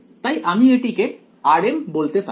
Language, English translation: Bengali, So, we can call this as r m